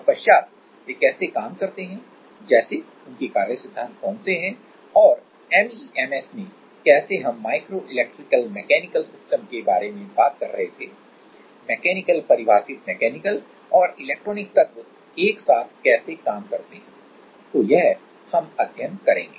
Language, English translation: Hindi, Then how do they work, like working principles and how in MEMS as we was talking about micro electrical mechanical systems, how the mechanical defining mechanical and electronic elements works together; so, that we will study